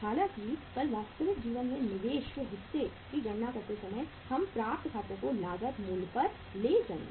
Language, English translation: Hindi, However, while calculating the investment part in the real life tomorrow we will take the accounts receivable at the cost price